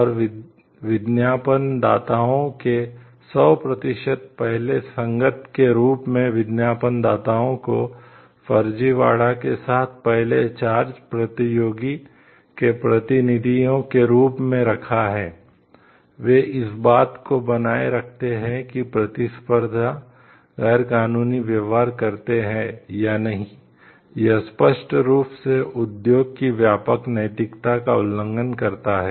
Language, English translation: Hindi, And advertisers the disks as 100 percent first compatible, representatives of the first charge competitor with forgery, they maintain that whether or not competitors practices illegal, it clearly violates industry wide ethics